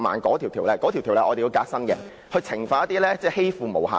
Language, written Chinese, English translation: Cantonese, 我們須革新該條例，以懲罰欺負"毛孩"的人。, We must reform the Ordinance to penalize those who bully our fluffy children